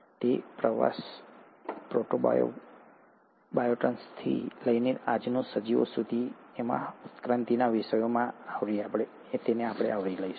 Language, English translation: Gujarati, So this journey, all the way from protobionts to the present day organisms, we’ll cover them in the, in the topic of evolution